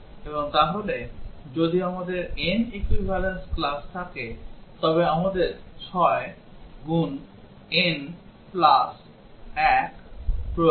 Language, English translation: Bengali, And therefore, if we have n equivalence classes, we need 6 n plus 1